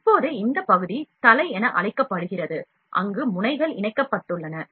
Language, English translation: Tamil, Now this portion is known as head, where the nozzles are attached